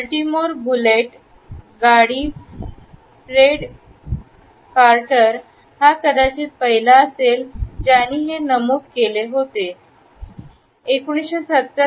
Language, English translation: Marathi, They had also noted that the Baltimore bullets guard Fred carter in the 1970’s was perhaps an early bumper